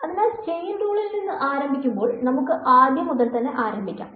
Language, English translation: Malayalam, So, starting with the Chain rule; so, let us start from the beginning all right